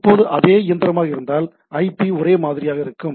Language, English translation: Tamil, Now if it is the same machine the IP will be same